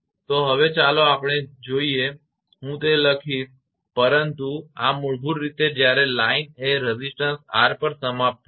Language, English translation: Gujarati, So, first one let us see I will write the, but this is basically when line is terminated at resistance R